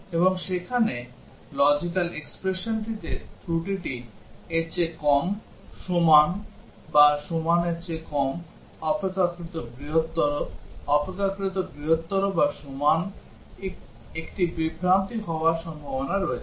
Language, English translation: Bengali, And there in the logical expression likely to be an error less than, less than equal to, greater than, greater than equal to there is a likely confusion